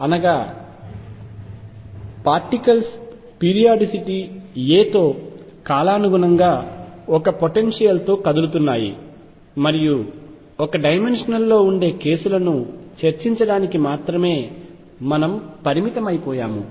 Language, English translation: Telugu, That means, the particles are moving in a potential which is periodic with periodicity a and we have confined ourselves to discussing one dimensional cases